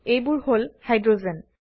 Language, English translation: Assamese, These are the Hydrogens